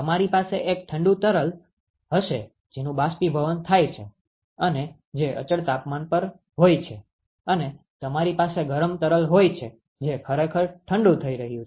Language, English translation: Gujarati, You will have a cold fluid which is evaporating you can which is at a constant temperature and you have a hot fluid which is actually being cooled